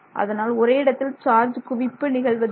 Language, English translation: Tamil, So, the charge buildup does not happen locally